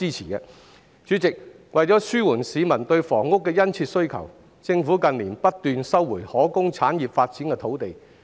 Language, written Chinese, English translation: Cantonese, 代理主席，為紓緩市民對房屋的殷切需求，政府近年不斷收回可供產業發展的土地。, Deputy President to alleviate the keen demand for housing by members of the public the Government has been resuming land designated for industries development in recent years